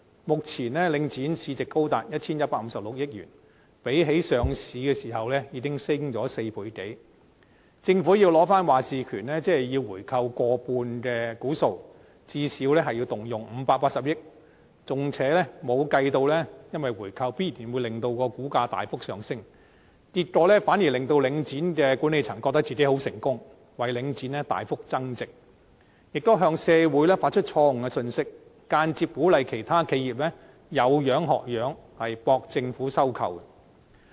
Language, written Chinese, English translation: Cantonese, 目前領展市值高達 1,156 億元，較上市的時候已經上升超過4倍，政府要取回決策權，便要購回過半數股權，最少要動用580億元，而且還未計算回購必然會令股價大幅上升，結果反而會令到領展的管理層覺得自己很成功，為領展大幅增值，亦向社會發出錯誤信息，間接鼓勵其他企業仿效，博取政府收購。, If the Government wishes to recover the decision - making power it will have to buy back more than 50 % of the shares at a cost of at least 58 billion . Moreover it has not taken into account that the buy - back will definitely cause an upsurge in the share price . In the end the Link REIT management will on the contrary consider themselves very successful in causing Link REITs value to substantially appreciate